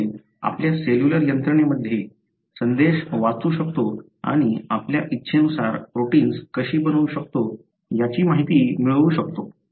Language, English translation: Marathi, So, that gives information as to how in our cellular machinery, can read the message and make protein as we desire